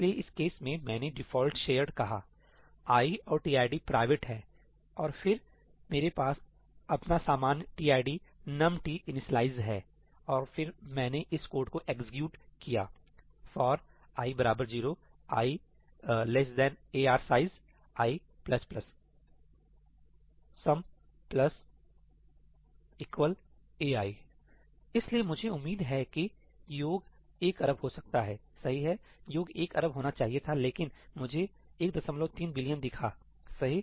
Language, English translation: Hindi, So, in this case I have just said ‘default shared’ and i and tid are private; and then I have my usual tid, numt initializations and then I execute this code for i equal to 0, i less than ARR size, i plus plus ,sum plus equal to ai I run this code and this is what I see – well, I had a billion entries and this is one point three billion